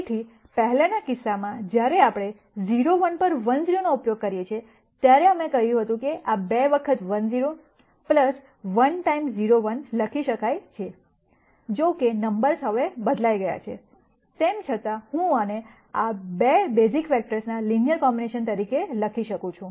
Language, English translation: Gujarati, So, in the previous case when we use 1 0 on 0 1, we said this can be written as 2 times 1 0 plus 1 times 0 1; however, the numbers have changed now, nonetheless I can write this as a linear combination of these 2 basis vectors